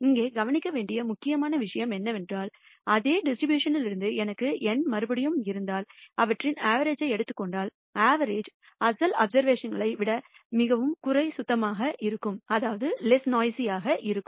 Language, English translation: Tamil, The important point here to be noted is, if I have N repeats from the same distribution and if I take the average of them, the average will be less noisy than the original observations